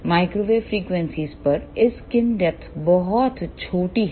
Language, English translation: Hindi, At microwave frequencies this skin depth is very very small